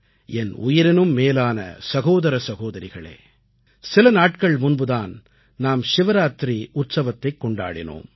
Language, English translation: Tamil, My dear brothers and sisters, we just celebrated the festival of Shivaratri